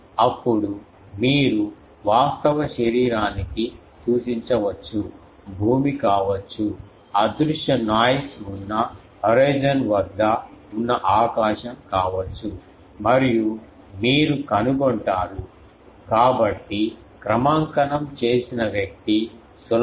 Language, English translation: Telugu, Then, you point to an actual body may be a ground, may be a some the sky which is at horizon which is of invisible noise and then you find out, so a calibrated one can easily find out